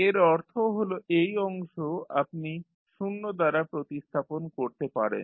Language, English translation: Bengali, It means that this particular section you can replace by 0